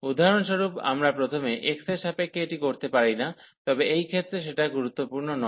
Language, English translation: Bengali, For example, we could do with respect to y first does not matter in this case